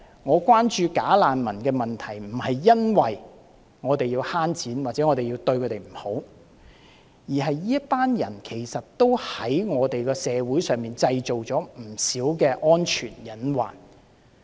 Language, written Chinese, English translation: Cantonese, 我關注假難民的問題並非因為我們要節省金錢，又或者要苛待他們，而是這群人其實在我們社會中製造了不少安全隱患。, The problem of bogus refugees commands my attention . The reason is not that we want to save money or to ill - treat this group of people but that they have created some hidden security risks in our society